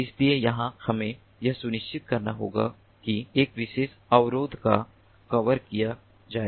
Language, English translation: Hindi, so here we have to ensure that a particular barrier is covered